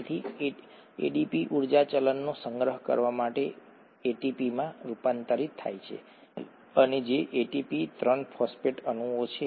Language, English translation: Gujarati, So ADP getting converted to ATP to kind of store up the energy currency and which is ATP 3 phosphate molecules